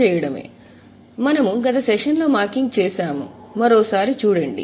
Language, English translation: Telugu, So, we have done marking last time, just have a look once again